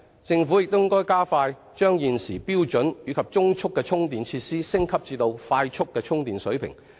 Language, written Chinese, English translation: Cantonese, 政府應加快把現時標準及中速的充電設施升級至快速充電水平。, The Government should quicken the pace of upgrading the existing standard and medium chargers to quick chargers